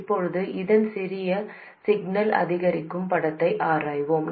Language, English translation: Tamil, Now let's analyze the small signal incremental picture of this